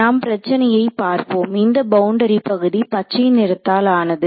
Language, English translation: Tamil, So let us see the problem that let us say that this part of the boundary over here is made out of this green part